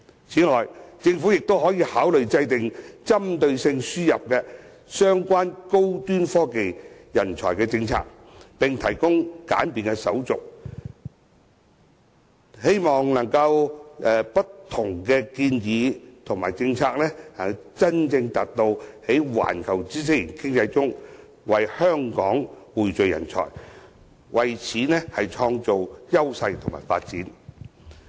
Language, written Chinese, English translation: Cantonese, 此外，政府亦可考慮制訂針對性的輸入相關高端科技人才政策，並簡化手續，希望藉着不同建議和政策，真正達到在環球知識型經濟中為香港匯聚人才，創造優勢和發展。, Moreover the Government can also consider formulating targeted policies on importing high - end technology talents and simplifying the relevant procedures so as to through different proposals and policies genuinely achieve the pooling of talents and creating edges and development opportunities for Hong Kong amidst the knowledge - based global economy